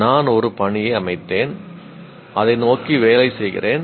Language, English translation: Tamil, I set a task and I work towards that